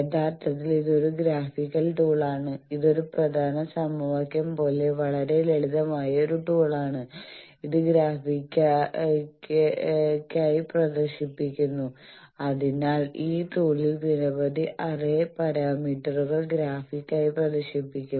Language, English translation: Malayalam, Actually, it is a graphical tool, it is a very simple tool like one important equation it is just displaying graphically and so several array parameters are graphically displayed in this tool